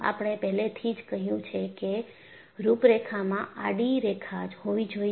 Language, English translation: Gujarati, We have already set that the contours have to be horizontal